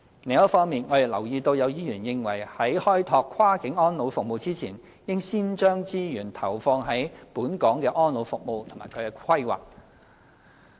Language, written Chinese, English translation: Cantonese, 另一方面，我們留意到有議員認為在開拓跨境安老服務前，應先將資源投放在本港的安老服務及其規劃。, In addition it is noted that some Members think that resources should be injected into elderly care services and planning in Hong Kong before developing cross - boundary elderly care services